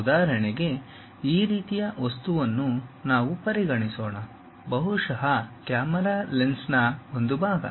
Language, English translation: Kannada, For example, let us consider this kind of object, perhaps a part of the camera lens